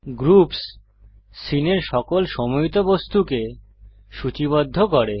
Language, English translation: Bengali, groups lists all grouped objects in the scene